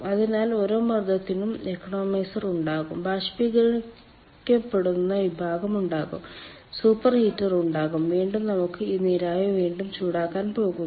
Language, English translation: Malayalam, so for each pressure there will be economizer, there will be evaporating section, there will be super heater and again we can go for reheating of this steam